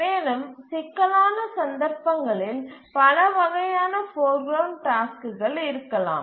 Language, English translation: Tamil, And in a more complicated case there might be multiple types of foreground tasks